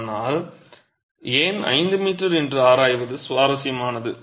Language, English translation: Tamil, But it is interesting to examine why 5 meters